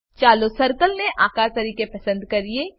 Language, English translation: Gujarati, Lets select Shape as circle